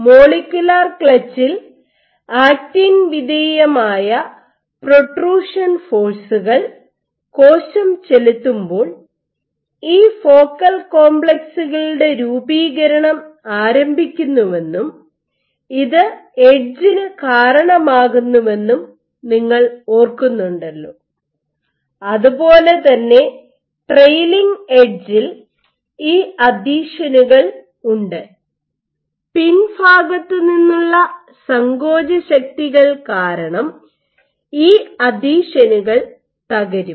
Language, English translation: Malayalam, As you recall that in the molecular clutch after the cell exerts the actomyosin actin dependent protrusion forces you begin to have the formation of these focal complexes at the leading edge, similarly at the trailing edge you have these adhesions which will break because of contractile forces at the rear